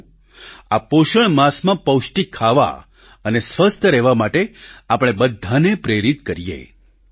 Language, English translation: Gujarati, Come, let us inspire one and all to eat nutritious food and stay healthy during the nutrition month